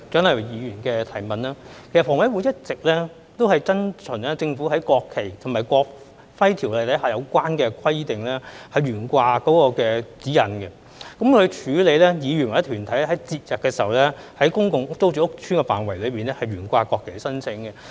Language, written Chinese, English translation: Cantonese, 其實，房委會一直遵循政府在《國旗及國徽條例》下有關懸掛國旗的規則和指引，處理議員或團體於節日在公共租住屋邨的範圍內懸掛國旗的申請。, In fact HKHA has all along been following the Governments rules and guidelines on the display of the national flags under the Ordinance in handling applications submitted by councillors or organizations for display of the national flags in PRH estates on festive days